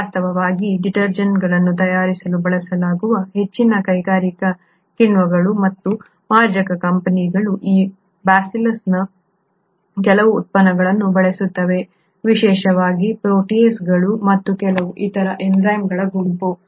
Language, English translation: Kannada, In fact most of the industrial enzymes and detergent companies for example which are used to make detergents, make use of certain products of these Bacillus, particularly a group of enzymes called proteases and a few other